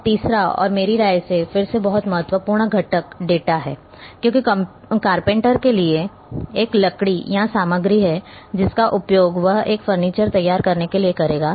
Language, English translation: Hindi, Now, third and in my opinion again very important component is the data as for the carpenter is a wood or material which he will use to prepare a furniture